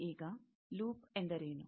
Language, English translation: Kannada, Now, what is a loop